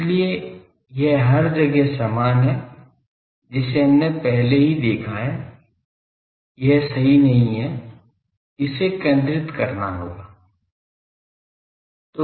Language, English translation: Hindi, So, everywhere this is same that we have already seen this way this is not correct, this will have to be centered